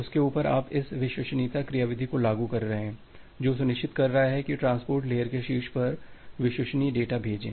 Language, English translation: Hindi, On top of that you are implementing this reliability mechanism which is ensuring that reliable data send on top of the transport layer